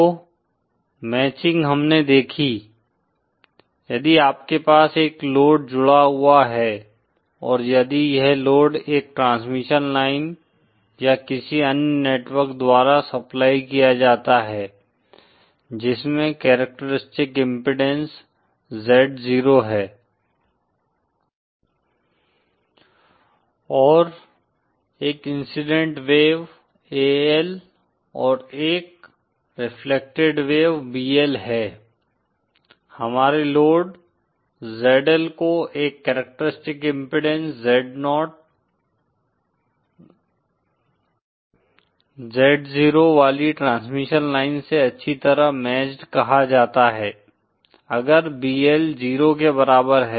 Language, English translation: Hindi, So matching we saw; was if you have a load connected and if this load is supplied by a transmission line or any other network which has a characteristic incidence Z 0 say; and there is an incident wave AL and a reflected wave BL then; our load ZL is said to be well matched with respect to the transmission line having a characteristic impedance Z 0, if BL is equal to 0